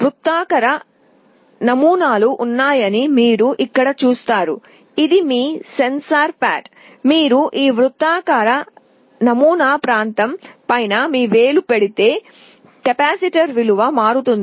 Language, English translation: Telugu, You see here there are circular patterns, this is your sensor pad; if you put your finger on top of this circular pattern area, the value of the capacitor changes